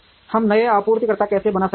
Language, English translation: Hindi, How do we create new suppliers